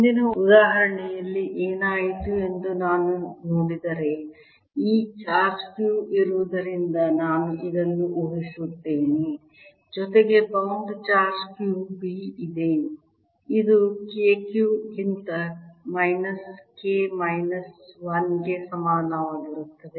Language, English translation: Kannada, i'll imagine this: as there is this charge q, in addition, there is a bound charge q b, which is equal to minus k, minus one over k q